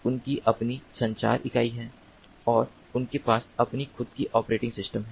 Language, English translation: Hindi, they have their own power unit, they have their own communication unit